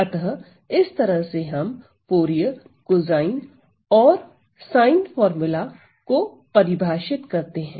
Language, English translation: Hindi, So, that is the way we define our Fourier cosine and sine formula